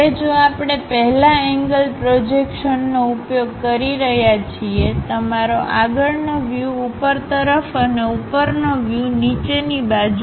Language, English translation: Gujarati, Now, if we are using first angle projection; your front view at top and top view at bottom